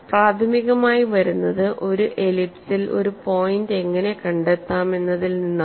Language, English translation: Malayalam, This primarily comes from how to locate a point on an ellipse